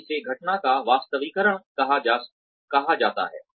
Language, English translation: Hindi, So, that is called reallocation of incidents